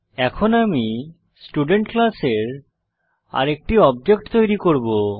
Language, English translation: Bengali, Now, I will create one more object of the Student class